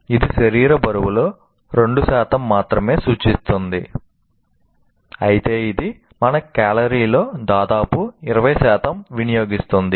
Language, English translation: Telugu, It represents only 2% of the body weight, but it consumes nearly 20% of our calories